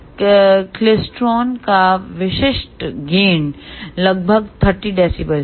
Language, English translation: Hindi, The typical gain of these klystrons is about 30 dB